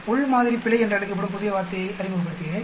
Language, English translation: Tamil, I am introducing a new word that is called within sample error